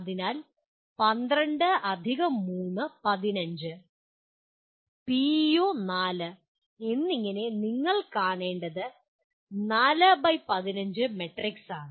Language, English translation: Malayalam, So 12+3, 15 and PEO 4 it is a 4 by 15 matrix that you have to see